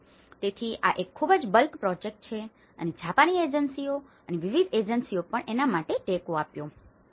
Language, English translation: Gujarati, So, this is a kind of a very bulk project and the Japanese agencies and different NGOs also have given us support for that